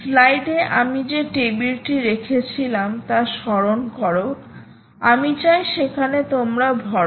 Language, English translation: Bengali, recall the table i put in the slide where i want you to fill up